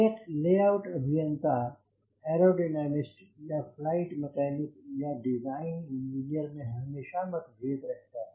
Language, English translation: Hindi, so there is a always the conflict between a layout engineer and a aerodynamics or a flight mechanics or designer engineer